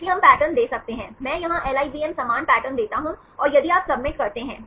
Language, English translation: Hindi, So, we can give the pattern, I give a same pattern here LIVM same, and if you submit